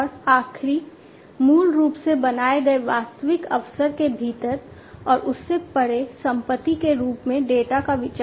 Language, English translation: Hindi, And the last one is basically the consideration of the data as an asset within and beyond the actual opportunity that is created